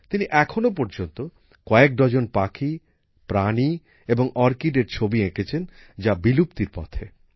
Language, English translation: Bengali, Till now he has made paintings of dozens of such birds, animals, orchids, which are on the verge of extinction